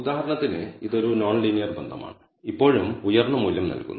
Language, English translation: Malayalam, For example, this is a non linear relationship and still gives rise to a high value